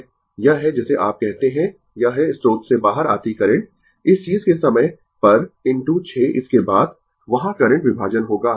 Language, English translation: Hindi, This is your what you call this is the current coming out from the your source at the time of this thing right into 6 by then, current division will be there